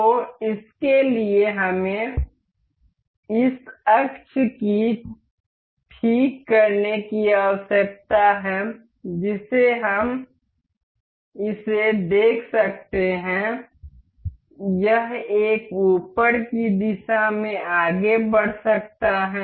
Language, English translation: Hindi, So, for this we need to fix this axis this we can see this, this can move in upward direction